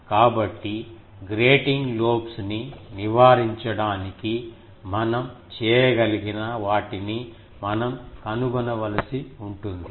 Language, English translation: Telugu, So, we will have to find out that to avoid grating lobes what we can do